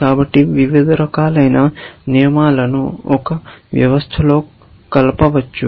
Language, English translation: Telugu, So, you could mix up rules of different kinds into one system